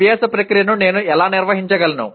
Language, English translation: Telugu, How do I manage the learning process